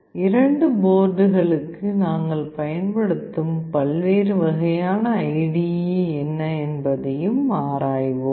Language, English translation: Tamil, We will also look into what are the various kinds of IDE that we will be using for the two boards